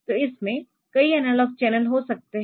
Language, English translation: Hindi, So, it can have a number of analog channels